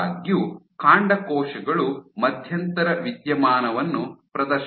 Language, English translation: Kannada, However, your stem cells exhibit an intermediate phenomenon